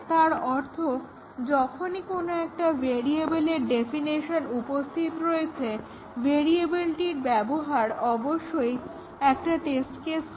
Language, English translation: Bengali, That means that wherever there is a definition of a variable, the uses of that variable must be a test case, must cover those two statements